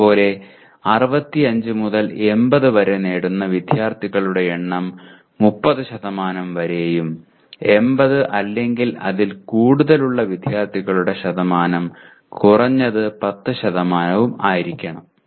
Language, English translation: Malayalam, Similarly for 65 to 80% in 30 and percentage of student getting 80 greater than 80 should be at least 10%